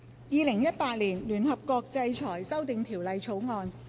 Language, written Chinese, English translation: Cantonese, 《2018年聯合國制裁條例草案》。, United Nations Sanctions Amendment Bill 2018